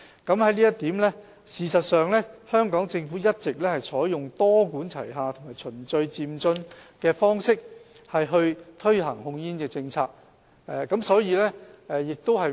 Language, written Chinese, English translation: Cantonese, 就這一點，事實上，香港政府一直採用多管齊下和循序漸進的方式推行控煙政策。, With respect to this the Hong Kong Government has actually been adopting a multi - pronged and progressive approach on tobacco control